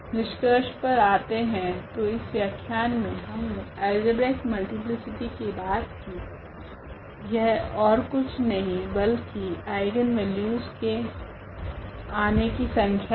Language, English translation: Hindi, Coming to the conclusion so, in this lecture we have talked about the algebraic multiplicity and that was nothing but the number of occurrence of an eigenvalue